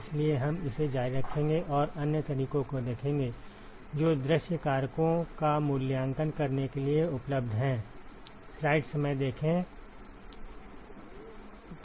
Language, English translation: Hindi, So, we are going to continue forward with that and look at other methods, which are available to evaluate view factors